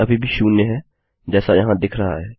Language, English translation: Hindi, Its still staying at zero as displayed here